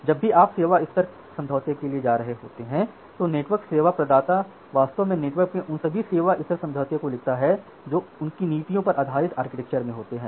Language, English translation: Hindi, So, the network service provider so, whenever you are going for a service level agreement the network service provider actually writes down all those service level agreement in the network based on this their policies based on their their architecture and so on